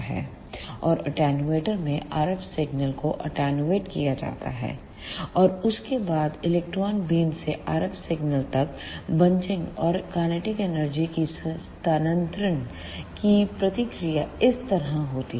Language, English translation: Hindi, And at the attenuator the RF signal is attenuated; and after that the same process of bunching and transfer of kinetic energy from electron beam to RF signal takes place like this